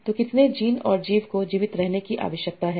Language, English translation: Hindi, So how many genes and organisms needs to survive